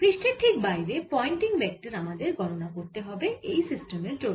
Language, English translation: Bengali, just we have to calculate the pointing vector for this system